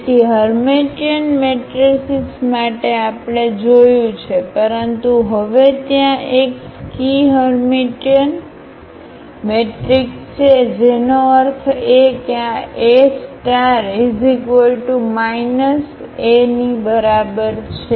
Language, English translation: Gujarati, So, for Hermitian matrices we have seen, but now there is a skew Hermitian matrix; that means, this A star is equal to minus A